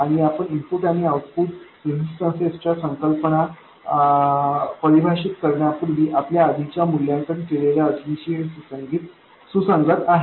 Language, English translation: Marathi, And this is consistent with the conditions we had evaluated earlier even before we defined the concepts of input and output resistances